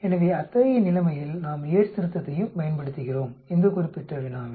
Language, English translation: Tamil, So in such situation we are also applying the Yate's correction as well, in this particular problem